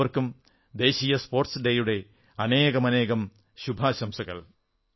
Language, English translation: Malayalam, Many good wishes to you all on the National Sports Day